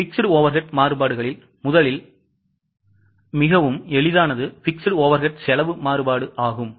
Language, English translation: Tamil, Now, fixed overhead variances again, first one is very simple, that is fixed overhead cost variance